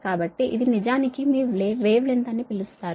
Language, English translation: Telugu, so this is actually your, what you call that wave length